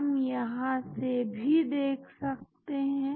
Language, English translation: Hindi, we can see through here also